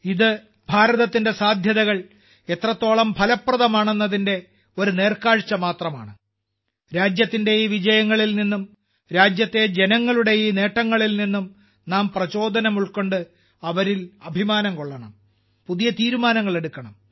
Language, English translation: Malayalam, This is just a glimpse of how effective India's potential is we have to take inspiration from these successes of the country; these achievements of the people of the country; take pride in them, make new resolves